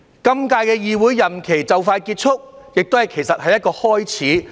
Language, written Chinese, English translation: Cantonese, 今屆議會任期快將結束，其實亦是一個開始。, This Legislative Council term is about to end . Actually this is also a beginning